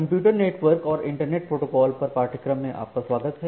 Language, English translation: Hindi, Welcome back to the course on Computer Networks and Internet Protocols